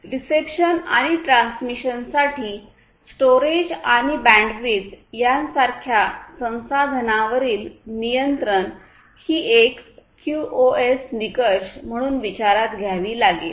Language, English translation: Marathi, The control over these resources such as storage, bandwidth etc for reception and transmission is something that has to be considered as a QoS criterion and this is quite fundamental